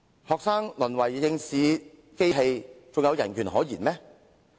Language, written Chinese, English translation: Cantonese, 學生淪為考試機器，還有人權可言嗎？, Are there human rights when students have now been reduced to examination machines?